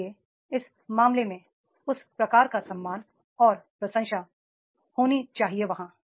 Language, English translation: Hindi, So, therefore in that case that type of the respect and some appreciation is to be there